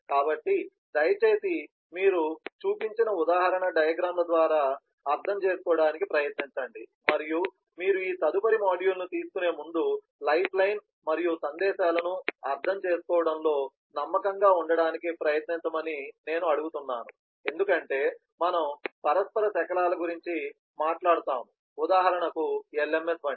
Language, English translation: Telugu, so i will ask that you please try to go through the example diagrams that we have shown and try to become confident about understanding the lifeline messages before you take up this next module, where we will talk about the interaction fragments and further on the lms example